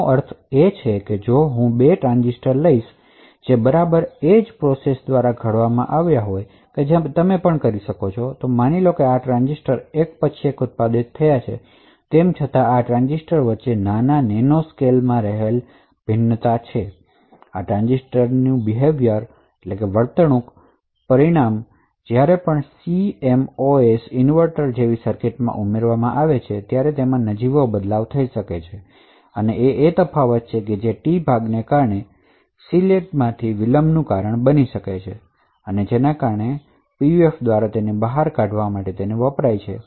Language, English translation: Gujarati, So, what I mean by this is that if I take 2 transistors which have been fabricated by exactly the same process and you could also, assume that these transistors are manufactured one after the other, still there are minor nanoscale variations between these transistors and as a result of this the behavior of these transistors when added to circuit such as CMOS inverter would vary very marginally, So, it is this marginal difference that causes delay in the oscillator due to the T part and this is what is used by PUFs to extract the signature for that particular device